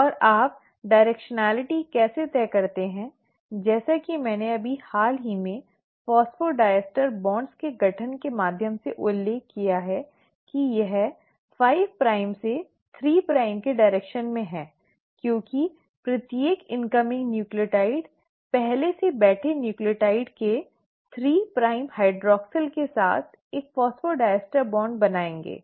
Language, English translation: Hindi, And how do you decide the directionality as I just mentioned through the formation of phosphodiester bonds that it is in the direction of 5 prime to 3 prime because every incoming nucleotide will form a phosphodiester bond with the 3 prime hydroxyl of the previously sitting nucleotide